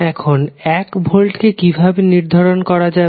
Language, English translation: Bengali, Now, how you will measure 1 volt